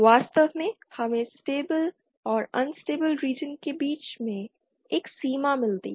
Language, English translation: Hindi, In fact we get a boundary between the stable and unstable region